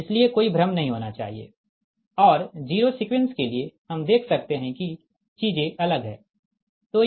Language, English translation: Hindi, and for, for, for the zero sequence we can see things are different